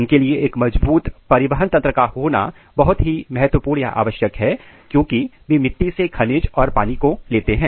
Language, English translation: Hindi, It is very important for them to have a very robust transport system, required to take minerals and water from the soil